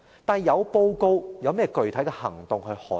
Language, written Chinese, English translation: Cantonese, 但是，有報告，又有甚麼具體行動捍衞？, Nevertheless in the Policy Address are there any substantial actions to defend the rule of law?